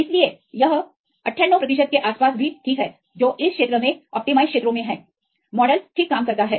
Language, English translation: Hindi, So, it is also fine around 98 percent which are in the allowed regions in this case the model works fine